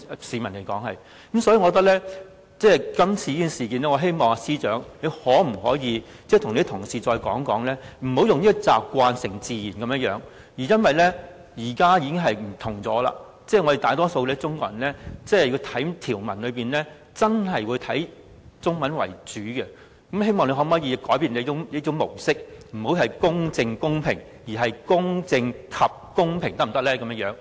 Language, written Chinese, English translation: Cantonese, 司長可否就這次事件再次提醒你的同事，不要習慣成自然，因為現時的環境已有所不同，我們大多數中國人讀條文，真的是以中文為準，希望他可以改變這種模式，不要"公正公平"，而是"公正及公平"，可否這樣？, The general public will not read both texts . So in respect of this issue I wonder if the Secretary for Justice can remind his colleagues once again not to stick with the existing practices without paying attention to any changes in circumstances . Times have changed in which most Chinese residents in Hong Kong will read the law in Chinese